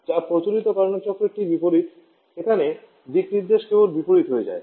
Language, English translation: Bengali, Which, is just opposite to the conventional Carnot cycle hear the directions of just become opposite